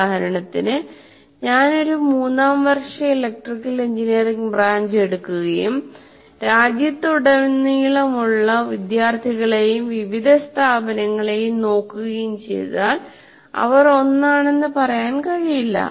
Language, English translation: Malayalam, So students are not the same in every type of, for example, if I take a third year electrical engineering branch and I look at students across the country in different institutions, you cannot say they are the same